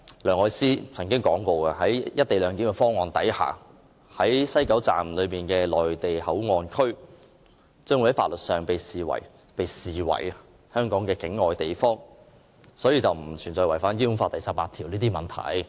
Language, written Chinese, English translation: Cantonese, 梁愛詩曾經表示，在"一地兩檢"方案之下，西九龍站的內地口岸區將會在法律上被視為香港境外地方，所以並不存在違反《基本法》第十八條的問題。, Elsie LEUNG has remarked that the Mainland Port Area set up in the West Kowloon Station under the co - location arrangement will be regarded as a place outside Hong Kong from the legal point of view so there will be no question of contravening Article 18 of the Basic Law